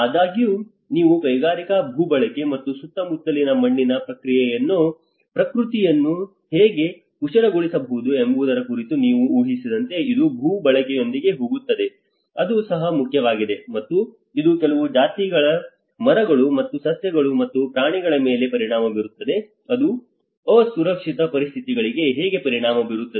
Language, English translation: Kannada, However, not only that it will also go with the land use like imagine you would talk about a industrial land use and how it can pollute the surrounding soil nature, that is also an important, and it will affect certain species of trees and flora and fauna, this how the result into the unsafe conditions